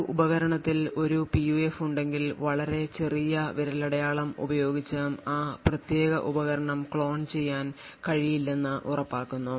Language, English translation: Malayalam, And with a very small fingerprint and also it is ensured that if a PUF is present in a device then that particular device cannot be cloned